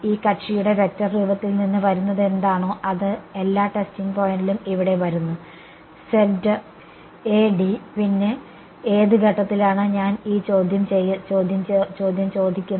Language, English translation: Malayalam, h is whatever is coming from the vector form of this guy is what is coming over here at all the testing point see, Z A, d then becomes at which point am I asking this question